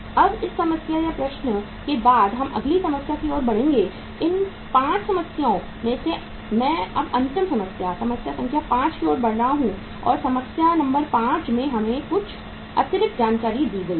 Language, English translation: Hindi, Now after this problem we will move to the next problem and uh out of these 5 problems I am moving to the last problem now, problem number 5 and in the problem number 5 we will have something more uh say additional information